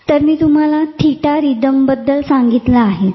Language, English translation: Marathi, So, as I said I told you about the theta rhythms